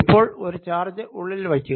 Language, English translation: Malayalam, now put a charge inside